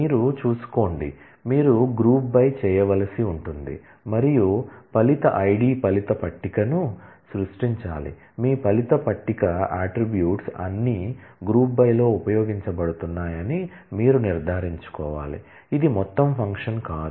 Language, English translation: Telugu, Mind you, you will have to do group by and create the result id result table you will have to make sure that, all your result table attribute are used in the group by, which is not an aggregate function